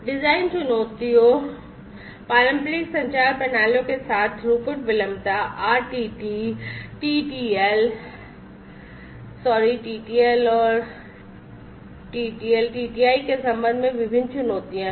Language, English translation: Hindi, Design challenges, there are different challenges with the traditional communication systems with respect to throughput latency RTT, TTL, sorry TTL and TTL, TTI